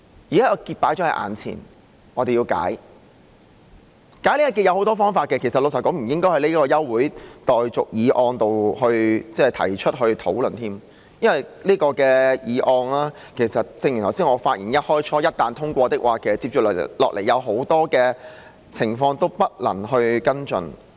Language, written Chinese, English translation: Cantonese, 現時這個結放在眼前，要把它解開，而解開這個結有很多方法，老實說，這並不應該在這項休會待續議案提出來討論，因為正如我在發言開首時所說，這項議案一旦通過，接下來有很多情況都不能夠跟進。, And in the face of such an impasse we have to resolve it . And there are many ways to do so . Frankly speaking it should not be discussed in the debate of the adjournment motion as I said at the beginning of my speech because once this motion is passed many subsequent items cannot be followed up